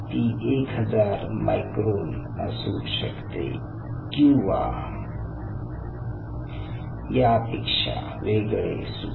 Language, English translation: Marathi, it could be thousand micron